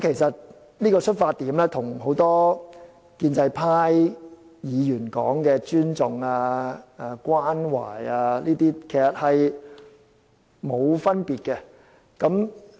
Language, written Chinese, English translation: Cantonese, 這個出發點與多位建制派議員所說的尊重、關懷等，其實並沒有分別。, This starting point is actually no different from the respect compassion and so on that a number of pro - establishment members have talked about